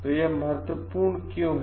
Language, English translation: Hindi, So, why it is important